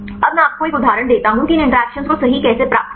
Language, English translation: Hindi, Now, I give you an example how to get these interactions right